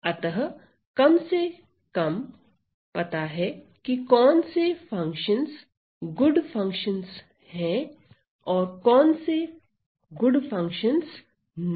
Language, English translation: Hindi, So, at least we know what are good functions and which functions are not good functions ok